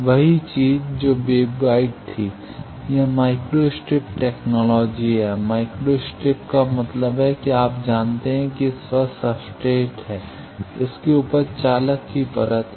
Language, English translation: Hindi, The same thing that was wave guide, this is micro strip technology, micro strip means you know there is substrate over that there is a metallization